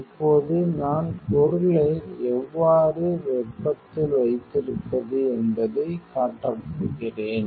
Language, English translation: Tamil, Now I am going to show how to keep the material in thermal